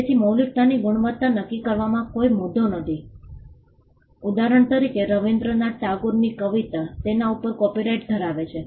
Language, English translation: Gujarati, So, in determining originality quality is not an issue for instance Rabindranath Tagore’s poetry has copyright over it